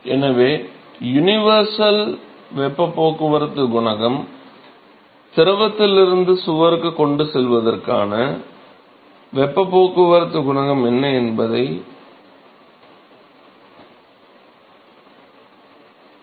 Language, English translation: Tamil, So, universal heat transport coefficient essentially it accounts for what is the heat transport coefficient for transport from the fluid to the wall